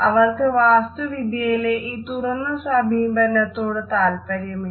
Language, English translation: Malayalam, They do not like the openness which has been introduced in the architecture